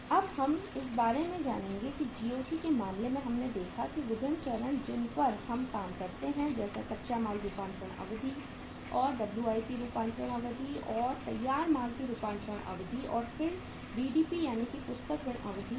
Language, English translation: Hindi, Now we will learn about that in case of the GOC we saw that the different stages which we work that is the raw material conversion period plus the WIP conversion period plus finished goods conversion period and then plus the BDP that is the book debts period